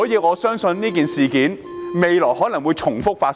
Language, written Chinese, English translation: Cantonese, 我相信未來類似事件會重複發生。, I believe that similar incidents will recur in the future